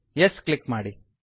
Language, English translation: Kannada, Click on Yes